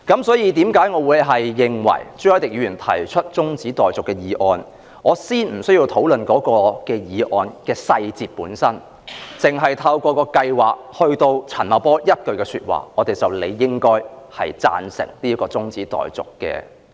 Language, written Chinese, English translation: Cantonese, 因此，對於朱凱廸議員提出的中止待續議案，我認為先不用討論議案的細節，只是出於陳茂波就計劃所說的一番話，我們便理應贊成這項中止待續議案。, Therefore I think it is not necessary to discuss the details of the adjournment motion moved by Mr CHU Hoi - dick in the first place . We should support the adjournment motion simply because of the remarks made about the plan by Paul CHAN